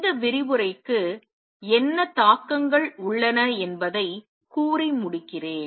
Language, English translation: Tamil, Let me just end this lecture by telling what implications does it have